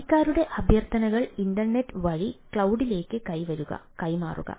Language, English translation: Malayalam, the subscriber requests are delivered to the cloud through the internet